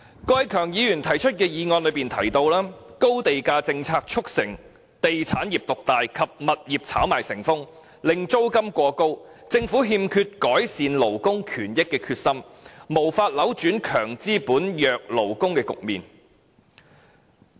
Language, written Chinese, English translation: Cantonese, 郭偉强議員提出的議案提到，"高地價政策促成地產業獨大及物業炒賣成風，令租金過高……政府欠缺改善勞工權益的決心，無法扭轉'強資本、弱勞工'的局面"。, In his motion Mr KWOK Wai - keung says the high land - price policy which has given rise to the dominance of the real estate industry and rampant property speculation has resulted in rents being exorbitant the Government lacks determination to improve labour rights and interests and is unable to change the situation of strong capitalists and weak workers